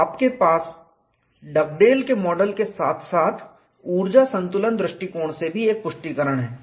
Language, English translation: Hindi, So, you have a confirmation from Dugdale's model plus energy balance approach